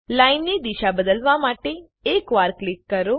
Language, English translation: Gujarati, Click once to change direction of line